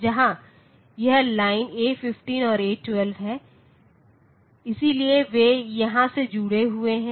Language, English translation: Hindi, So, where this line A 15 and A12, so they are connected here